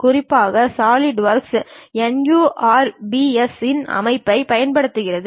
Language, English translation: Tamil, And especially Solidworks uses a system of NURBS